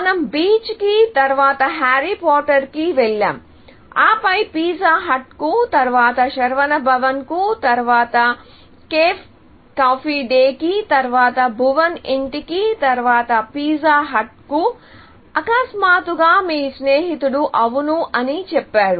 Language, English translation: Telugu, So, let us say, go to the beach and then, go and see harry porter; and then, go to pizza hut; then, go to Saravana Bhavan; then, go to Cafe Coffee Day; then, go to Bhuvan’s Home; then go to let us say, pizza hut; and suddenly, your friend says, yes